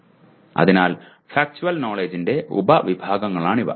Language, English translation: Malayalam, So these are the subcategories of factual knowledge